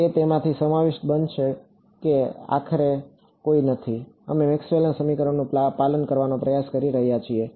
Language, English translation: Gujarati, It will make it consists in such that there is no finally, we are trying to obey Maxwell’s equations